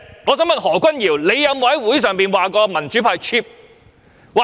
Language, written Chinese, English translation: Cantonese, 我想問何君堯議員，他有否在會議上說民主派 "cheap"？, I would like to ask Dr Junius HO whether he has described the democratic camp as cheap at the meeting